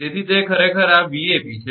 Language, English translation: Gujarati, So, that is this Vab actually